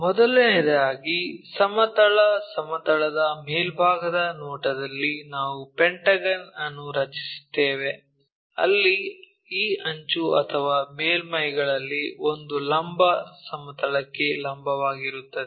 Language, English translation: Kannada, First of all, in the top view on the horizontal plane we draw a pentagon, where one of this edge or surface is perpendicular to vertical plane